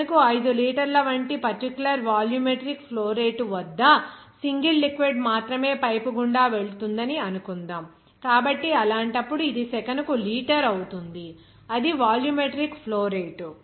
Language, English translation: Telugu, Suppose only a single liquid is passing through a pipe at a particular volumetric flow rate like 5 liters per second, so in that case, this will be liter per second that is volumetric flow rate